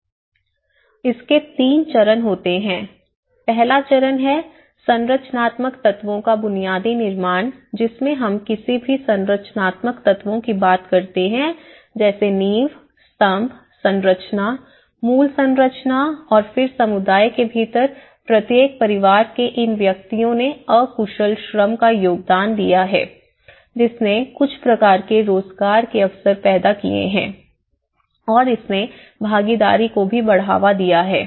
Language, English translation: Hindi, So there are 3 stages, one is the first stage the basic construction of the structural elements we talk about any structural elements like the foundations, the columns, the structure, the basic structure of it and then these individuals from each family within the community have contributed the unskilled labour that has created some kind of employment opportunities and this has also enhanced the participation